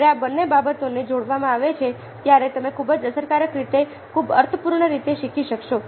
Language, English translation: Gujarati, when both these things are combined, then you are able to learn very effectively, very, very meaningfully